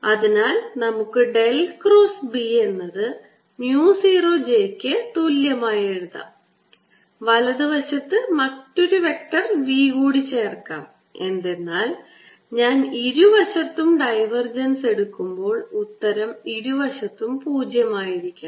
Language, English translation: Malayalam, so let's write del cross: b is equal to mu zero j and add another vector, v, so that when i take divergence from both the sides the answer comes out to be zero on both the sides